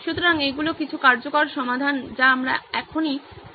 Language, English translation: Bengali, So these are some viable solutions we can think of right now